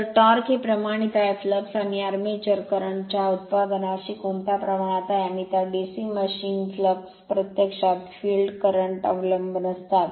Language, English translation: Marathi, So, torque is proportional to your, what you proportional to product of flux and your armature current right, and in that DC machine flux actually depend on the field current